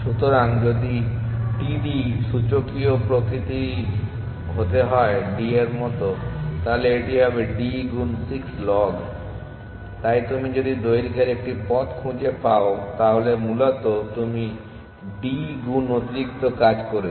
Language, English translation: Bengali, So, if the td were to be exponential in nature be there as to d then this would be d times 6 log, so you are doing if you are finding a path of length then essentially you are doing d times extra work